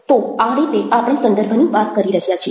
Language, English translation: Gujarati, so that's how we had been talking about the context